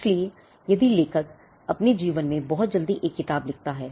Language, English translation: Hindi, So, if the author writes a book very early in his life